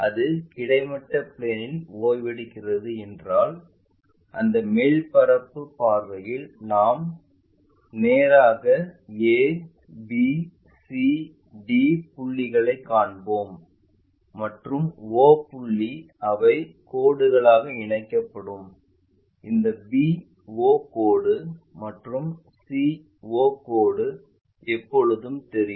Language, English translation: Tamil, If it is resting on horizontal plane then we will see a, b, c, d points straight away in that top view and o point they will be connected by lines, this b o line and c o line always be visible